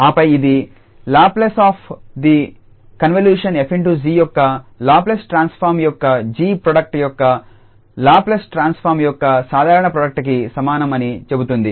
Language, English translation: Telugu, And then it says that the Laplace of the convolution f star g is equal to the product the simple product of this L the Laplace transform of f product of the Laplace transform of g